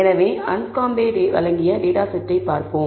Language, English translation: Tamil, So, let us look at a data set provided by Anscombe